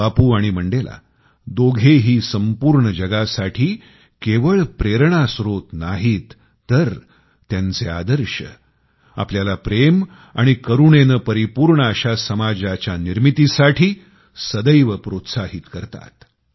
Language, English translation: Marathi, Both Bapu and Mandela are not only sources of inspiration for the entire world, but their ideals have always encouraged us to create a society full of love and compassion